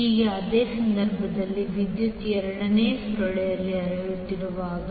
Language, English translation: Kannada, Now similarly in this case when the current is flowing in second coil